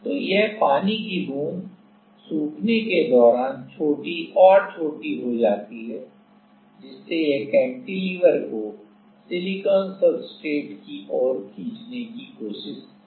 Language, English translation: Hindi, So, this water droplet as it becomes smaller and smaller while drying up so, that we will try to pull the cantilever towards the silicon substrate